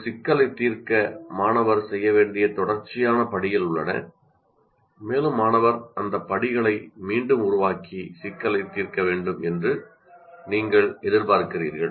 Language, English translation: Tamil, That is also, you have a series of steps that student is required to perform to solve a problem and you expect the student also to reproduce those steps and solve the problem